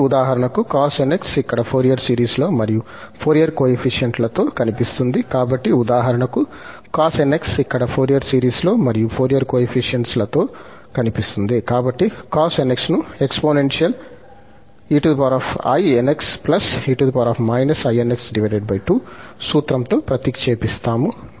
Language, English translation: Telugu, So, this cos nx, this appear for example, here in the Fourier series, also in the Fourier coefficients, so, this cos nx can be replaced with the help of this exponential formula e power inx and e power minus nx divided by 2